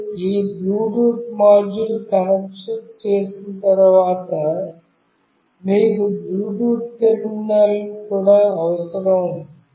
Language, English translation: Telugu, Once you have this Bluetooth module connected, you also need a Bluetooth terminal